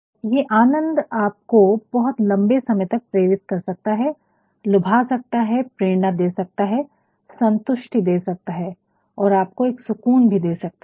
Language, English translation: Hindi, And, this pleasure can also go a long way to motivate you, to persuade you, to inspire you, to satisfy you, or also to provide you a sort of relief